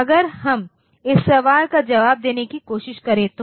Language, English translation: Hindi, So, if we tried to answer this question